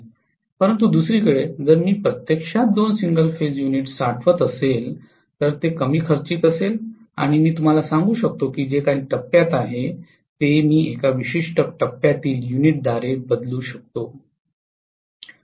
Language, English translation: Marathi, But on the other hand if I actually store even couple of single phase units it will be less expensive and I would be able to replace you know whatever is the phase that has conked out I can replace that by one particular single phase unit